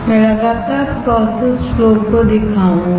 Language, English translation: Hindi, I will continuously show the process flow